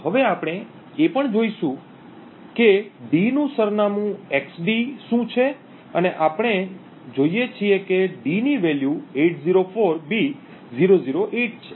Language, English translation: Gujarati, So now we will also look at what the address of d is xd and what we see is that d has a value 804b008